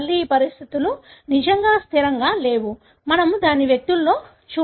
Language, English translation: Telugu, Again, these conditions are not really stable; we donÕt see it in individuals